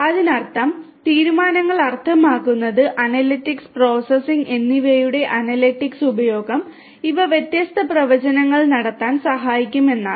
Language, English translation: Malayalam, That means, decisions means that again analytics use of analytics and processing and these will help in making different predictions